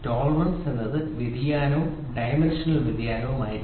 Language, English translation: Malayalam, Tolerance is the variation, dimensional variation, right